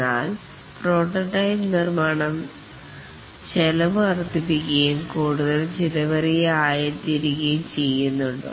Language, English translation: Malayalam, But does the prototype construction add to the cost and the development becomes more costly